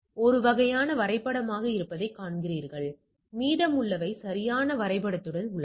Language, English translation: Tamil, So, you see this one is mapped to this and rest are there right corresponding mapped